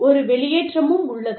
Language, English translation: Tamil, And, there is a discharge